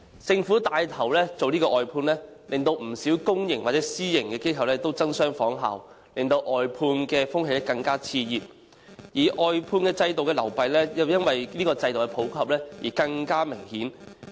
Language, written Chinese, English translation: Cantonese, 政府帶頭外判服務，令不少公私營機構也爭相仿效，致令外判風氣更為熾熱，而外判制度的漏弊亦因這制度的普及更見明顯。, With the Government taking the lead to outsource its services many public and private organizations have followed suit . This has exacerbated the trend of outsourcing and as the outsourcing system becomes popular its shortcomings have been brought into light all the more clearly